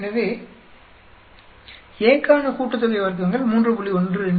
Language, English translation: Tamil, So sum of squares for A is 3